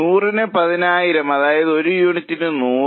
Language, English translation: Malayalam, That means it is 100 per unit